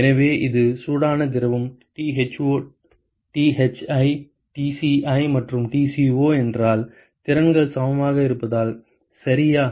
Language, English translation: Tamil, So, supposing if this is hot fluid Tho Thi Tci and Tco because the capacities are equal ok